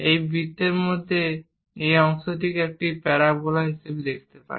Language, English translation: Bengali, So, up to this portion, we see it as a parabola